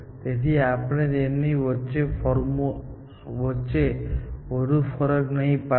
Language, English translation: Gujarati, So, we will not distinguish too much between them